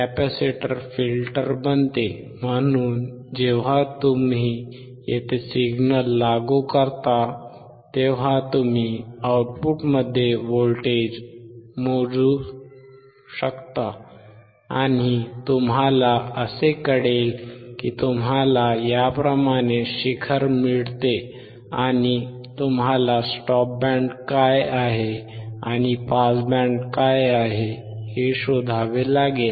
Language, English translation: Marathi, Capacitor becomes filter, so when you apply signal here, then you can measure the voltage across output, and you find that you get the peak like this, and, you have to find what is a stop band and what is a pass band